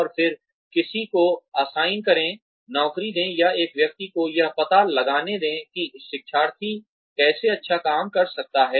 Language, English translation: Hindi, And then, assign somebody, give the job to, or let one person figure out, how the learner can do the job well